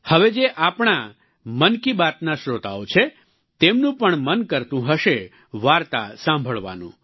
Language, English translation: Gujarati, Now our audience of Mann Ki Baat… they too must be wanting to hear a story